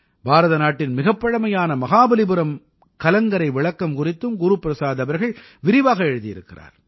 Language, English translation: Tamil, Guru Prasad ji has also written in detail about the oldest light house of India Mahabalipuram light house